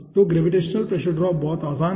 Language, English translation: Hindi, gravitational pressure drop is very simple